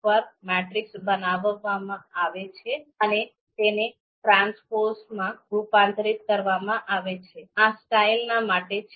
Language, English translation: Gujarati, So once this matrix is created and converted into a transpose, this is going to be assigned into this you know style